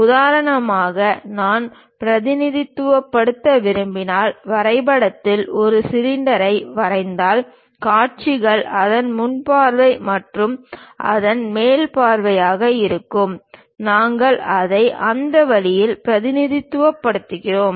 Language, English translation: Tamil, For example, if I am drawing a cylinder; in drawing if I would like to represent, perhaps the views will be the front view and top view of that, we represent it in that way